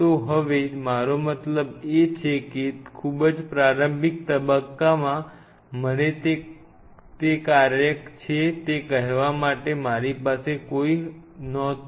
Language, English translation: Gujarati, So, now, but in a very early phases I mean I had no one to tell me that you know I mean it is a job